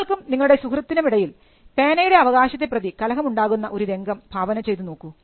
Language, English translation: Malayalam, Assume a scenario, where you and your friend have a small tussle with an ownership of a pen